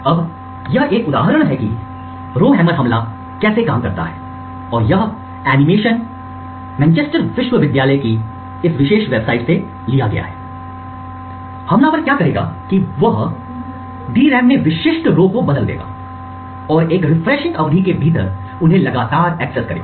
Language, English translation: Hindi, Now this is an example of how a Rowhammer attack would work and this animation is taken from this particular website from Manchester University, what the attacker would do is that he would toggle specific rows in the DRAM and access them continuously within a refresh period